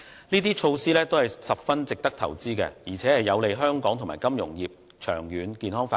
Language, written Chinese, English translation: Cantonese, 這些措施都十分值得投資，而且有利香港和金融服務業的長遠健康發展。, It is worthwhile to invest in these measures which are conducive to the long - term and healthy development of Hong Kong and its financial services industry